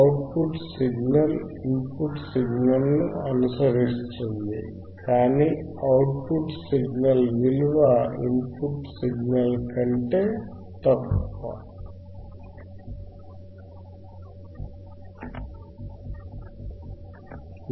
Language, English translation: Telugu, oOutput signal follows the input signal with a voltage which is smaller than the input signal